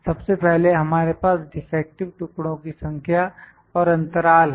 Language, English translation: Hindi, First of all, we have number of defective pieces and the period